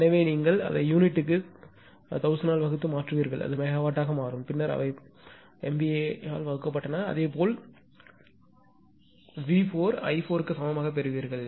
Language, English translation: Tamil, So, it will be you this you convert it to per unit divide by 1000; it will become megawatt; then they were divide by MVA base same as V 4 and similarly you will get i 4 is equal to